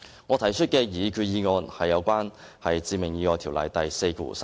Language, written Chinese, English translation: Cantonese, 我提出的擬議決議案是修訂《致命意外條例》第43條。, My proposed resolution seeks to amend section 43 of the Ordinance